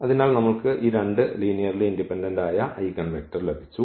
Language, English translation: Malayalam, So, we got this two linearly independent eigenvector